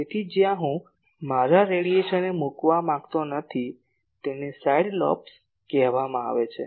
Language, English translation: Gujarati, So, where I do not want to put my radiation those are called side lobes